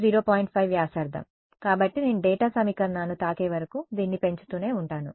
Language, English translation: Telugu, 5 radius so I keep increasing this until I touch the data equation